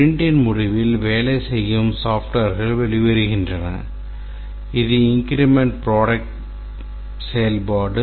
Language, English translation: Tamil, At the end of the sprint, some working software comes out which is the incremental product functionality